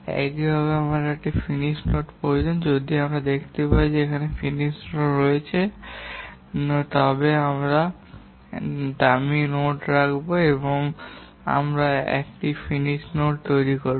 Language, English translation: Bengali, If we find that there are multiple finish nodes, we will put a dummy node and we will make it a single finish node